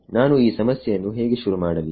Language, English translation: Kannada, How do I start solving this problem